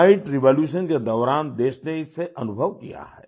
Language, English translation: Hindi, The country has experienced it during the white revolution